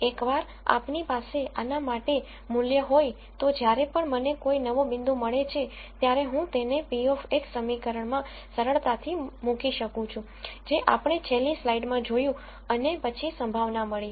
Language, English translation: Gujarati, Once we have a value for this, any time I get a new point I simply put it into the p of x equation that we saw in the last slide and then get a probability